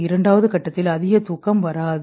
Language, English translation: Tamil, More of the sleep remains in stage 2